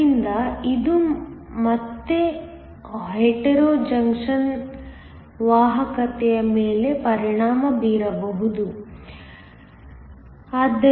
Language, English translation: Kannada, So, this can again affect the conductivity of the Hetero junction